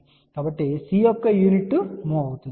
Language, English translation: Telugu, So, the unit of the C is mho